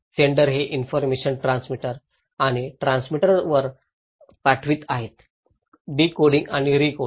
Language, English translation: Marathi, Senders passing this informations to the transmitter and transmitter is decoding and recoding